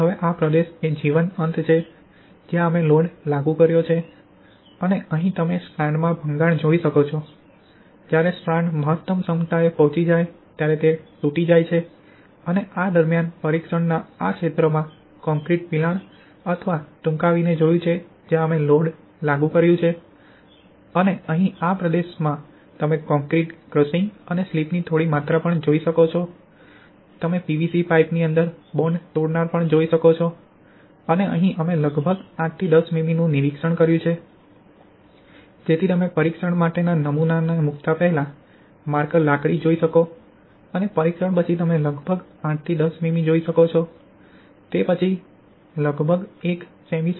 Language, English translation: Gujarati, So now this region is the live end where we applied the load and here you can see the strand rupture, when the strand is reached to is maximum capacity it has broken and during the testing we have observed concrete crushing or shortening at this region where we applied the load and here in this region you can see some amount of concrete crushing and slip and also you can see the bond breaker placed inside the PVC pipe and here we have observed almost 8 to 10 mm slip, so you can see the marker rod placed before placing the specimen for testing and after testing you can see almost 8 to 10 mm, it is almost 1 cm slip occurred due to the pull out test